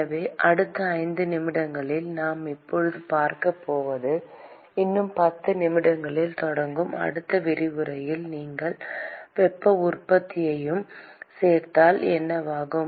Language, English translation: Tamil, So, what we are going to see now in the next 5 minutes and in the next lecture which starts 10 minutes from now will be what happens when you include heat generation also